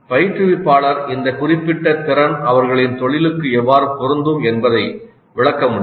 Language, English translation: Tamil, The instructor can explain how this particular competency is relevant to their profession